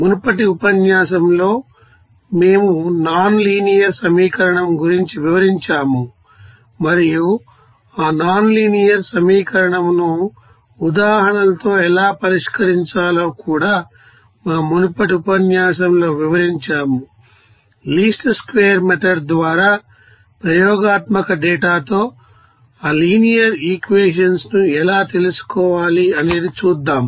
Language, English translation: Telugu, In the previous lecture we have described nonlinear equation and how to solve that nonlinear equation with examples also you have described in our earlier lecture that how to you know free to that linear equations with experimental data by least square method